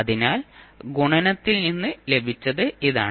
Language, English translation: Malayalam, So, this is what we got from the multiplication